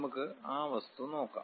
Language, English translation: Malayalam, Let us look at that object